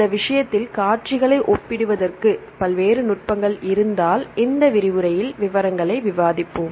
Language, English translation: Tamil, For this case, if there are various techniques to compare the sequences, and we will discuss the details in this lecture